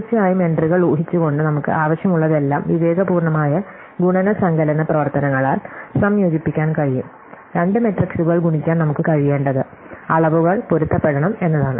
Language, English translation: Malayalam, Remember that all we need, assuming the entries of course, can be combined by sensible multiplication addition operations, what we need to be able to multiply two matrices, is that the dimensions should match